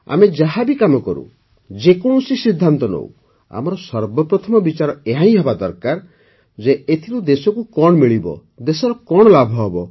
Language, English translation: Odia, Whatever work we do, whatever decision we make, our first criterion should be… what the country will get from it; what benefit it will bring to the country